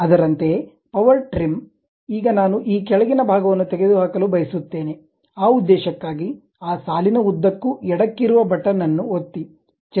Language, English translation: Kannada, Similarly, power trim, now I would like to remove this bottom portion, for that purpose, click left button move along that line